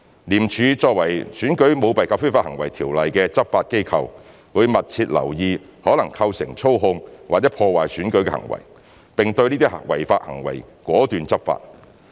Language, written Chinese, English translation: Cantonese, 廉署作為《選舉條例》的執法機構，會密切留意可能構成操控或破壞選舉的行為，並對這些違法活動果斷地執法。, As the law enforcement agency of ECICO ICAC will pay close attention to conducts that may constitute manipulation of or sabotaging the elections and take resolute law enforcement action to combat such illegal activities